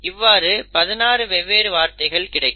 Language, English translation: Tamil, So you essentially, will have 16 different words